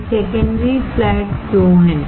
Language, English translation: Hindi, Why there is a secondary flat